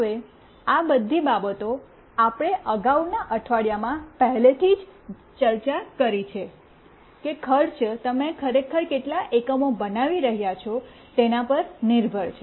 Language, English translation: Gujarati, Now, all these things we have already discussed in the previous weeks that cost depends on how many number of units you are actually manufacturing